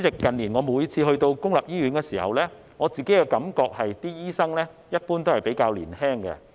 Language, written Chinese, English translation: Cantonese, 近年我每次前往公營醫院時，感覺醫生一般比較年青。, Every time I have visited a public hospital in recent years I have the impression that the doctors are generally younger